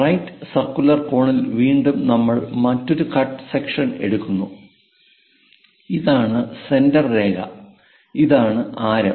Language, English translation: Malayalam, Again for a right circular cone; we take another cut section, this is the centerline, this is the radius